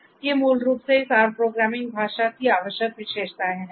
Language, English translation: Hindi, So, these are basically the essential features of this R programming language